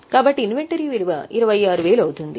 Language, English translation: Telugu, So, inventory will be valued at 26,000